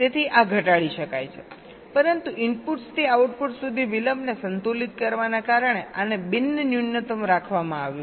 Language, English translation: Gujarati, so this can be minimized, but this has been kept non means non minimized because of balancing the delays from inputs to outputs